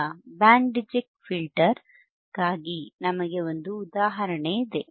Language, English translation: Kannada, Now, for Band Reject Filter, we have an example